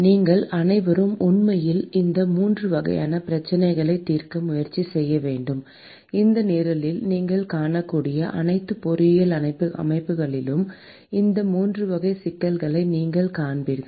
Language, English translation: Tamil, All of you should actually try to solve these 3 types of problems; and you will see these 3 classes of problems in almost all the engineering systems that you will see in this program and also probably elsewhere